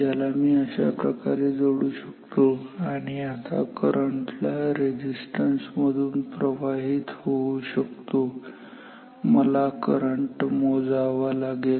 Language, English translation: Marathi, So, which I connect across this ok so, now, current can flow through this resistance and I have to measure this current